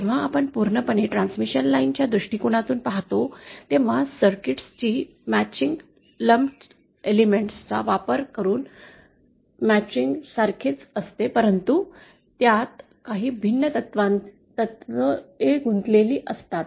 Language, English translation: Marathi, When we look from a purely transmission line point of view, the matching of circuits is similar to the matching using lumped elements but a little different principles are involved